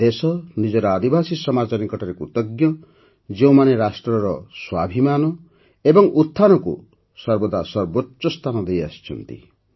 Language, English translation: Odia, The country is grateful to its tribal society, which has always held the selfrespect and upliftment of the nation paramount